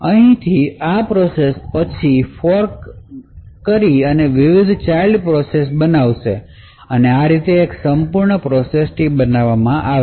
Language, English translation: Gujarati, From here this process would then fork various child processes and thus in this way creates an entire process tree